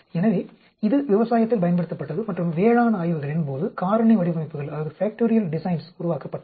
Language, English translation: Tamil, So, it was used in agricultural and factorial designs were developed during agricultural studies